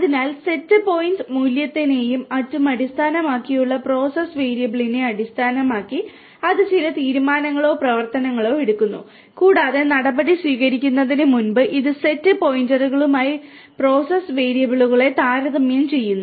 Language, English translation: Malayalam, So, based on the process variable based on set point value and so on, it takes certain decisions it or actions and it compares the process variables with the set points before it takes the action